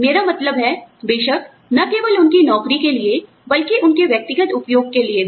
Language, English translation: Hindi, I mean, of course, you know, if the, not only for their job, but for their personal use